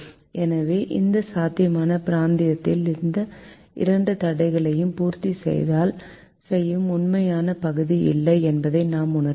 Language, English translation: Tamil, so we realize that this feasible region, there is no actual region which satisfies both this constraint